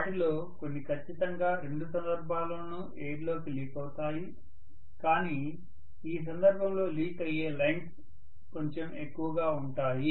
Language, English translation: Telugu, Some of them will definitely leak into the air in either case but the number of lines leaking into air in this case maybe slightly higher